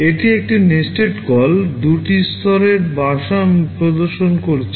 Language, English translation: Bengali, This is a nested call, two level nesting I am demonstrating